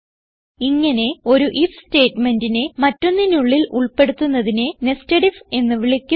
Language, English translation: Malayalam, This process of including an if statement inside another, is called nested if